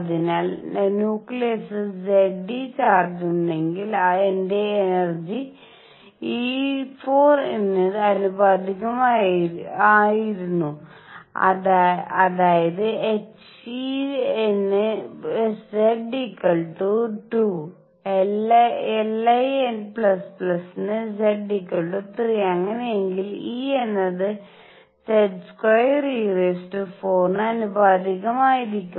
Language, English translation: Malayalam, So, my energy was proportional to e raise to 4, if nucleus has charge Z e; that means, Z equals 2 for helium plus Z equals 3 for lithium plus plus and so on, then E would be proportional to Z square e raise to 4